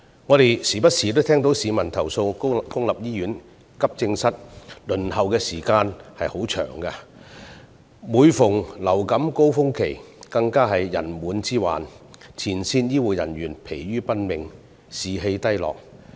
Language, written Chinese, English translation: Cantonese, 我們不時都會聽到市民投訴公營醫院急症室的輪候時間太長，當遇上流感高峰期，更有人滿之患，前線醫護人員疲於奔命，士氣低落。, From time to time we also hear people complain about the excessively long waiting time at Accident and Emergency Departments of public hospitals . During influenza surges public hospitals will confront the problem of overcrowding and the front - line healthcare personnel will be driven to exhaustion and suffer from low morale